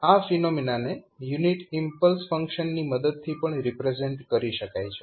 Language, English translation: Gujarati, So, that particular phenomena can also be represented with the help of this unit impulse function